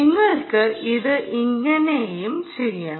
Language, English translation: Malayalam, you can do it this way